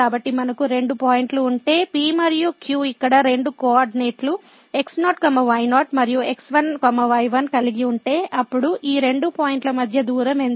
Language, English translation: Telugu, So, if we have two points P and Q having two coordinates here and ; then, what is the distance between these two points